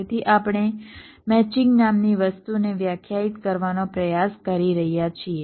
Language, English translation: Gujarati, so we are trying to define something called a matching, matching